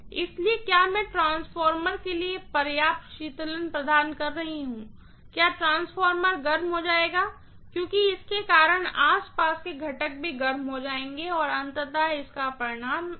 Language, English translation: Hindi, So, am I providing adequate cooling for the transformer, will the transformer get overheated, because of which the surrounding components will also get overheated and ultimately it will result in a failure, right